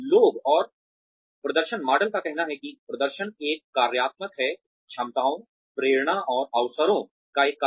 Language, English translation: Hindi, People and performance model says that, performance is a functional, is a function of abilities, motivation, and opportunities